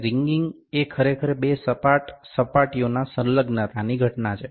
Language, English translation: Gujarati, And wringing actually is the phenomena of adhesion of two flat surfaces